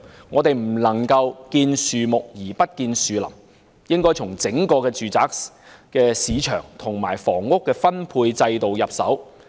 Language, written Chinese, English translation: Cantonese, 我們不可"見樹不見林"，應該從整個住宅市場及房屋分配制度着手。, We should not see the wood for the trees and must start with the residential market and housing allocation system in a holistic manner